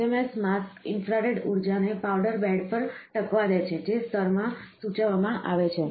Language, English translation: Gujarati, The SMS mask allows infrared energy to impinge on the powder bed in the region, prescribed in the layer